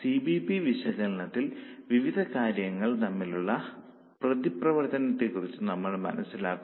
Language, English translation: Malayalam, In CVP analysis we understand the interaction between various things